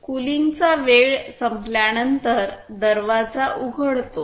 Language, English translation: Marathi, The door opens after the cooling time is completed